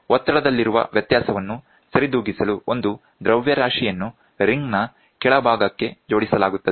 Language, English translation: Kannada, A mass to compensate for the difference in pressure is attached to the lower part of the ring